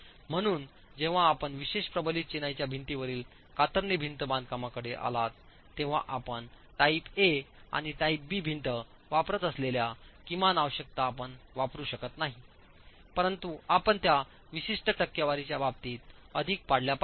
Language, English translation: Marathi, So, when you come to the special reinforced masonry wall, shear wall construction, you will not use the minimum requirements that we have been using for type A and type B wall, but it's more in terms of specific percentages that you have to adhere to